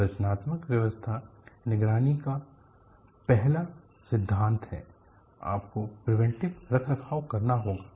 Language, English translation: Hindi, Structural health monitoring,the first principle is you will have to do preventive maintenance